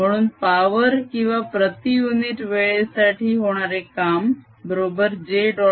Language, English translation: Marathi, so power or the work done per unit time is going to be j dot e